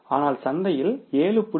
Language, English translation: Tamil, So, at the 7